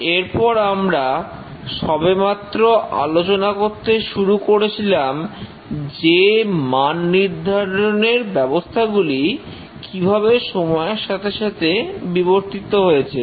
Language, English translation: Bengali, After that, we had just started discussing about the evolution of the quality systems over the years